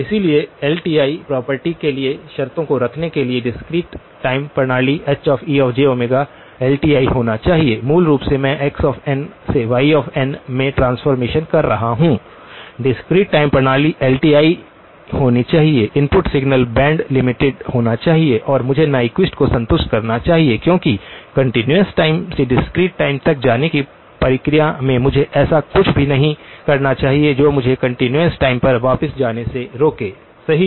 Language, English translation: Hindi, So, the conditions for LTI property to hold the discrete time system He of j omega that has to be a LTI, basically I am doing a transformation from x of n to y of n, the discrete time system must be LTI, the input signal must be band limited and I must have satisfied Nyquist because in the process of going from the continuous time to the discrete time, I should not have done anything which will prevent me from going back to the continuous time, right